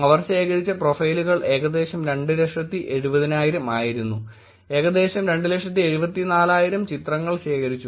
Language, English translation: Malayalam, Profiles that they collected were about 270,000, images that were collected around 274,000